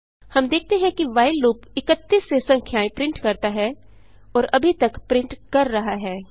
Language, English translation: Hindi, We see that while loop prints numbers from 31 and is still printing